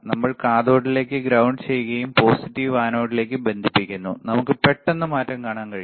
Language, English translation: Malayalam, Connection we are connecting ground to cathode and positive to anode, we can immediately see the change